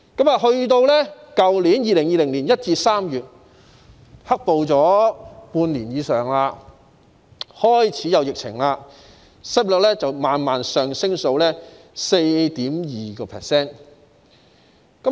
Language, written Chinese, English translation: Cantonese, 到去年2020年1月至3月，"黑暴"發生了半年以上，又開始有疫情，失業率慢慢上升至 4.2%。, Between January and March last year ie . 2020 which was six months or so after the outbreak of the black - clad riots coupled with the emergence of the epidemic the unemployment rate slowly rose to 4.2 %